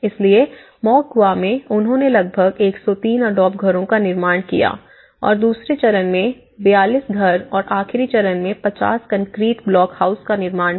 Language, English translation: Hindi, So, in Moquegua one, they constructed about 103 adobe houses and this is again 42 houses in stage two and in the last one is a 50 concrete block houses